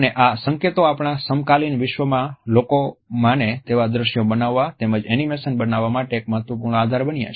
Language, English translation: Gujarati, And these cues have become an important basis for creating convincing visuals as well as creating animations in our contemporary world